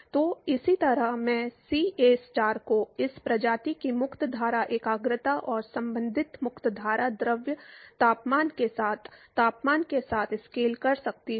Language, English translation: Hindi, So, similarly I could scale CAstar the concentration of this species with the free stream concentration and the temperature with the corresponding free stream fluid temperature